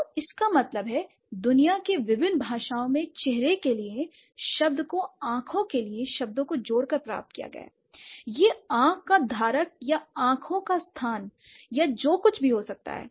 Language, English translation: Hindi, So, that means in different languages of the world, your face, the term for face has been derived adding the words for eyes into it, maybe the holder of the eye or the place of the eyes or whatever